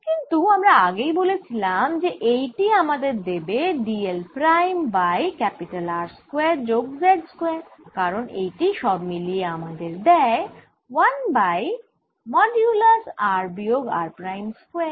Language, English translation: Bengali, this is also modulus, but we have already said this is going to give me d l prime over square plus z square, because this together gives me one over mod r minus r prime